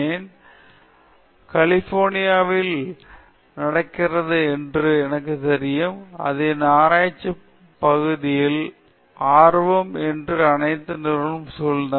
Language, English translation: Tamil, So, it happens in California as you know it is surrounded by all the companies that my area of interest